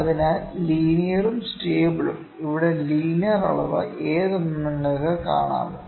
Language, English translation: Malayalam, So, linear and stable, could you please see which is the linear measurement here